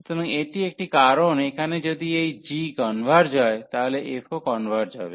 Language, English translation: Bengali, So, this is a and that is a reason here if this g converges, so the f will also converge